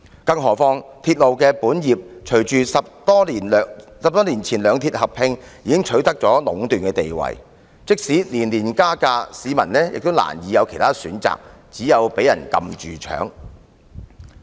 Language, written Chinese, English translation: Cantonese, 更何況隨着兩鐵在10多年前合併，港鐵公司在營運鐵路的本業已取得壟斷地位，即使每年加價，市民也難有其他選擇，只有被人"撳住搶"。, As railway operation has been monopolized by MTRCL following the rail merger ten - odd years ago the citizens are robbed when MTRCL raises its fares every year as there is no alternative for them